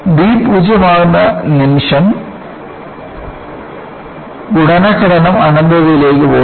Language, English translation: Malayalam, The moment when b tends to 0, the multiplication factor goes to infinity